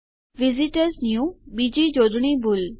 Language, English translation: Gujarati, visitors new another spelling mistake